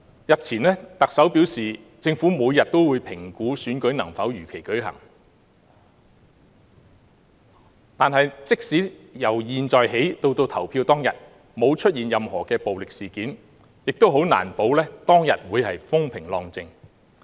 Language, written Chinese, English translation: Cantonese, 日前，特首表示政府每天都會評估選舉能否如期舉行，但即使由現在起至投票當天沒有任何暴力事件發生，也難保當天會風平浪靜。, A few days ago the Chief Executive said that the Government would make daily assessment on the possibility of conducting the election as scheduled . But even in the absence of any violent incidents in the run - up to the day of polling no one can guarantee that the polling day will be peaceful